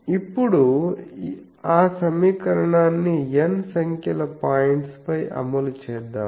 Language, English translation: Telugu, Now, let us enforce that equation on n number of points